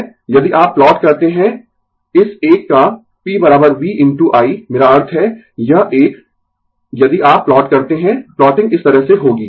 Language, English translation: Hindi, If you plot P is equal to V into I of this one, I mean this one if you plot, the plotting will be like this